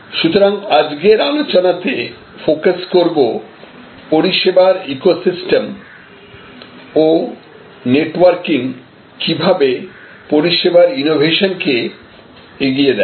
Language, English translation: Bengali, So, today's session we are going to focus on how the service ecosystem and networking of services lead to service innovation